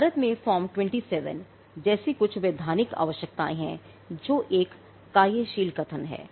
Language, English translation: Hindi, Now, in India there are certain statutory requirements like form 27, which is a working statement